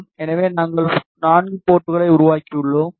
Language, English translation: Tamil, So, you see we have created 4 ports